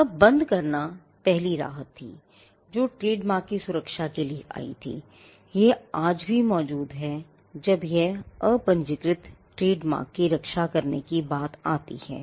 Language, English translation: Hindi, Now, passing off was the first relief that came to protect trademarks and passing off still exists, when it comes to protecting unregistered trademarks